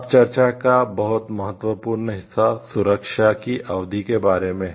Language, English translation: Hindi, Now very important part of discussion is about the duration of protection